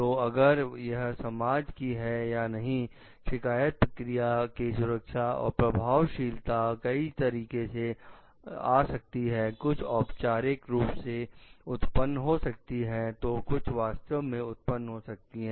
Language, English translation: Hindi, So, if whether it is institutionalized or not or like so, safe and effective complaint procedures come in many forms, some formally instituted others arising de facto